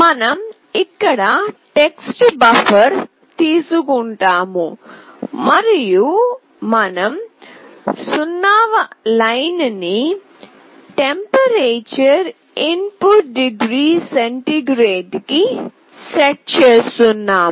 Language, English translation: Telugu, We take a character buffer here and we are setting the 0th line to “Temp in Degree C”